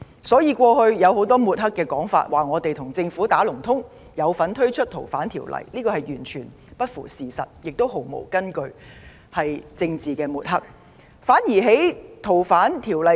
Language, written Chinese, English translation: Cantonese, 所以，過去眾多抹黑說法，指控我們跟政府"打龍通"，有份推動《條例草案》，其實完全不符事實，毫無根據，屬政治抹黑。, Therefore the many smearing efforts accusing us of being in collusion with the Government and involved in taking forward the Bill are false allegations . They do not tally with the facts . They are completely groundless